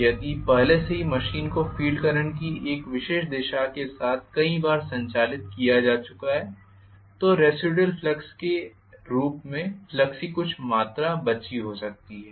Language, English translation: Hindi, And if already the machine has been operated several times with a particular direction of the field current then there may be some amount of flux leftover as residual flux